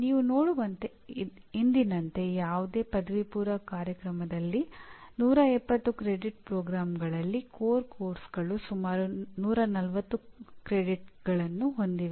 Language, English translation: Kannada, As you can see as of today, the core courses constitute almost 140 credits out of 170 credit program, any undergraduate program